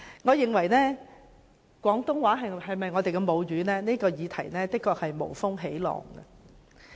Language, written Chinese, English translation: Cantonese, 我認為廣東話是否我們的母語這議題，的確是無風起浪。, I am of the view that the question as to whether Cantonese is our mother tongue is indeed an attempt to stir up trouble